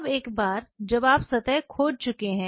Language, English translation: Hindi, Now, once you have etched the surface